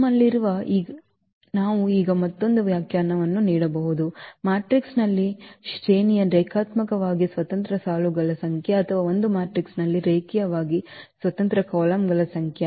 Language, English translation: Kannada, So, what we have, we can now give another definition the rank of a matrix is the number of linearly independent rows or number of linearly independent columns in a matrix that is the rank